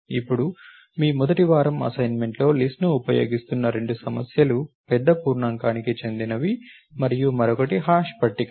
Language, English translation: Telugu, Now, what are the things that the two of the problems that are using list in your first week assignments are big int and the other one is the hash tables